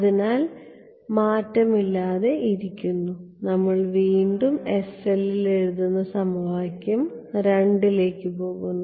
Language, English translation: Malayalam, So, this is my unchanged then we go to equation 2 again writing in the s cell